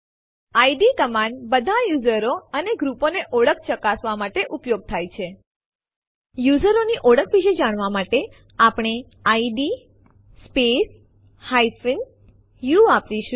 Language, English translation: Gujarati, id – command is used to check the identities of all the users and groups To know about the identity of the user, we use id space u